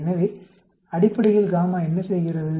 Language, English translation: Tamil, So basically gamma is what it does